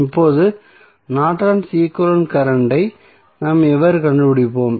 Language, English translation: Tamil, So, now the Norton's equivalent current how we will find out